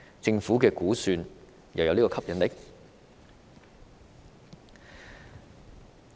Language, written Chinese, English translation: Cantonese, 政府如何估算這個吸引力？, How did the Government assess the appeal?